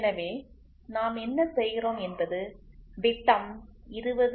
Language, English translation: Tamil, So, what we do is we try to legalize and say diameter 20